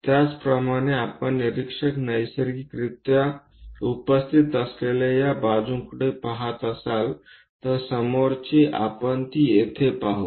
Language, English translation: Marathi, Similarly, if we are looking from this side where observer is present naturally, the front one here we will see it here